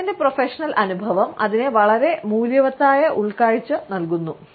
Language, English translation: Malayalam, His professional experience makes it a very valuable insight